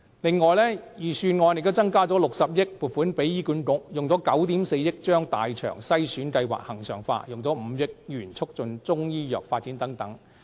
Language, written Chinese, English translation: Cantonese, 此外，預算案增加了60億元撥款予醫院管理局，以9億 4,000 萬元把大腸癌篩查先導計劃恆常化、以5億元促進中醫藥發展等。, Moreover an additional 6 billion is allocated to the Hospital Authority; 940 million is allocated for the regularization of the Colorectal Cancer Screening Pilot Programme; and 500 million is allocated for the development of Chinese medicine